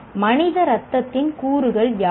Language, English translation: Tamil, What are the constituents of human blood